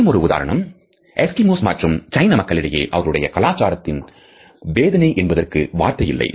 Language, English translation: Tamil, Another example is that Eskimos and the Chinese do not have a word their culture for anxiety